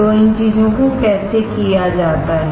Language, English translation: Hindi, So, how these things are done